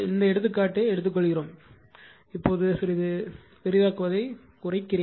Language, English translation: Tamil, This example one is taken right, just hold on let me reduce the zoom little bit right